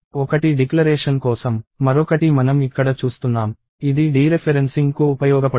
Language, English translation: Telugu, One is for declaration, the other one we are seeing here, which useful for dereferencing